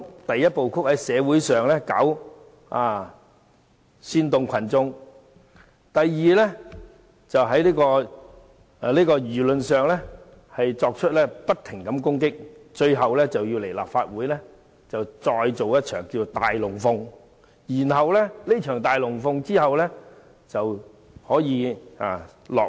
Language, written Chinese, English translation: Cantonese, 第一，在社會上煽動群眾；第二，在輿論上不停攻擊；最後，在立法會做一場"大龍鳳"，完成這場"大龍鳳"後，便可以落幕。, First they incite the mass in the society; second they attack unceasingly under the pretext of public opinion; and lastly they stage a spectacular show in the Legislative Council . Upon completion of this spectacular show the curtain will be dropped